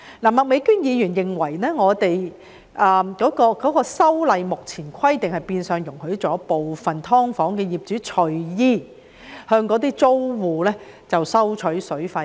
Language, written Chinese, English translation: Cantonese, 麥美娟議員認為，該規例目前的規定變相容許部分"劏房"業主隨意向租戶收取水費。, Ms Alice MAK opined that the Regulations in their current form in a way allow some landlords of subdivided units to randomly set the amounts of water fees to be paid by their tenants